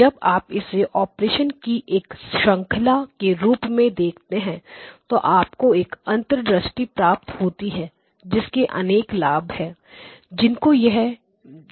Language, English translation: Hindi, So, when you view it as a sequence of operations then you get the insights and there is advantages to that